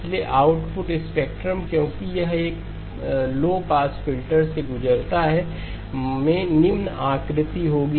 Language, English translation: Hindi, So the output spectrum because it passed through a low pass filter will have the following shape